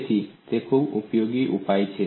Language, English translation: Gujarati, So it is a very useful solution